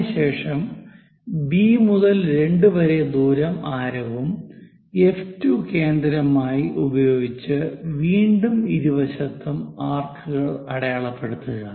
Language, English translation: Malayalam, Similarly, from B to 2 distance whatever the distance F 2 as centre make an arc on both sides